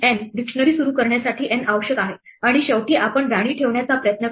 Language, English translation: Marathi, N is required in order to initialize the dictionary and finally, we try to place the queen